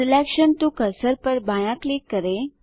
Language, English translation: Hindi, Left click cursor to selected